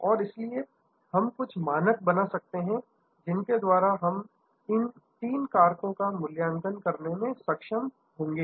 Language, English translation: Hindi, And therefore, we may create some standards by which we will be able to evaluate these three factors